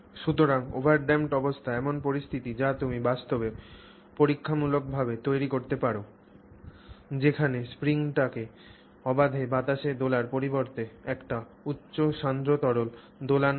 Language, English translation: Bengali, So, the over damped condition is a situation which you can actually create experimentally where let's say the spring instead of you know freely floating in air is actually forced to do this process in a highly viscous liquid